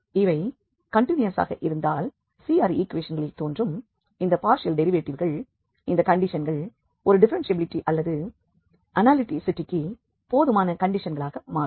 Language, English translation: Tamil, So, if they are continuous these partial derivatives appearing in CR questions, then these conditions become sufficient condition for a differentiability or analyticity